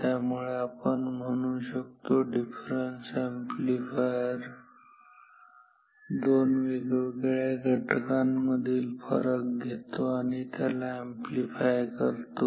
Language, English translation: Marathi, So, we say difference amplifier takes the difference of 2 quantities and amplifies it this is same thing is happening and the gain in this case